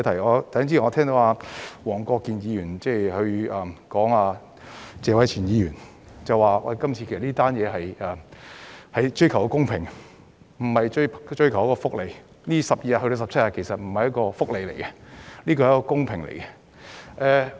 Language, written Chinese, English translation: Cantonese, 我剛才聽到黃國健議員回應謝偉銓議員時表示，這次修例其實是追求公平，而不是追求福利，法定假日由12天增至17天並非福利問題，而是公平問題。, Just now I heard Mr WONG Kwok - kin say in response to Mr Tony TSE that this legislative amendment was a pursuit of fairness rather than welfare . Increasing the number of statutory holidays from 12 to 17 is not an issue of welfare but fairness